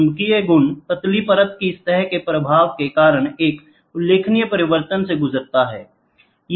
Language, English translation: Hindi, The magnetic properties undergo a remarkable change due to surface effects of thin layer